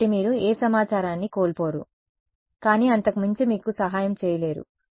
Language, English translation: Telugu, So, that you do not lose any information, but beyond that cannot help you right